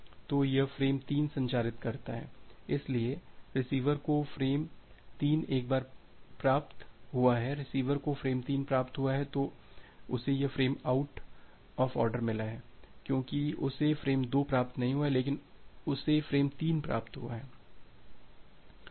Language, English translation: Hindi, So, it has transmitted frame 3 so, the receiver has received frame 3 once the receiver has received frame 3 then it has received this frame out of order because it has not received frame 2, but it has received frame 3